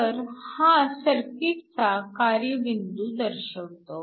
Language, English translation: Marathi, So, this represents the operating point for the circuit